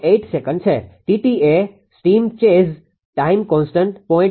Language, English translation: Gujarati, 08 second T g is a steam chase time constants 0